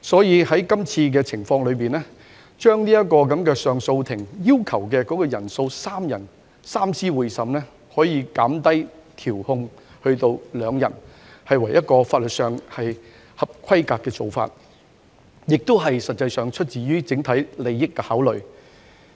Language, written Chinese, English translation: Cantonese, 因此，有關修訂建議將上訴法庭上訴法官的組成人數由3名法官——即所謂的"三司會審"——減至2名，屬法律上合規格的做法，實際上亦是基於對整體利益的考慮。, This is the reason why the relevant amendment proposes to reduce the composition of a Court of Appeal from three Justices of Appeal―a three - Judge bench―to two . This is up to standard in law and is actually based on consideration for the overall interest